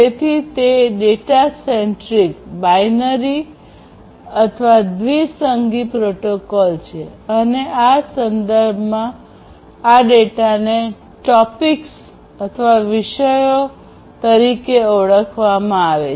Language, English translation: Gujarati, So, it is a data centric binary protocol and this data in this context are termed as “topics”